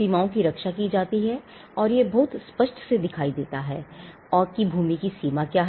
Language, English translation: Hindi, If the boundaries are protected and it gives a much clearer view of what is the extent of the land